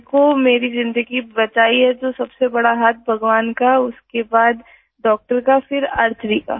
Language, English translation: Hindi, If my life has been saved then the biggest role is of God, then doctor, then Archery